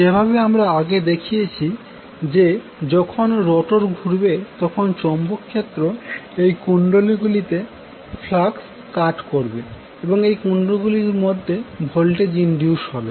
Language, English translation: Bengali, Now, when the rotor rotates, as we saw that when you rotate the rotor the magnetic field will cut the flux from these coils and the voltage will be inducing these coils